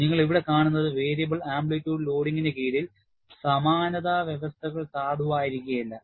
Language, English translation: Malayalam, And what you see here is, under variable amplitude loading, similitude conditions may not be valid